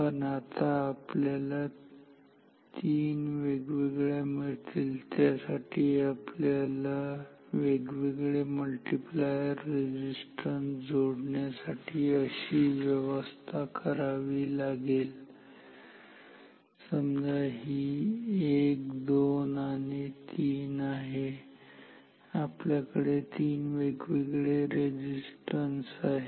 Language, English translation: Marathi, But now to get three different ranges, we need the provision to connect different multiplier resistances like this, so 1, 2 and 3, because we have three resistances